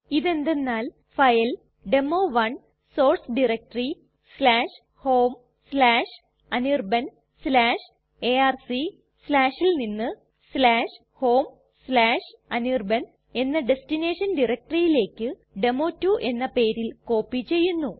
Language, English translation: Malayalam, What this will do is that it will copy the file demo1 from source diretory /home/anirban/arc/ to the destination directory /home/anirban it will copy to a file name demo2